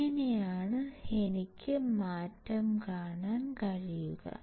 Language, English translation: Malayalam, So, this is how I can see the change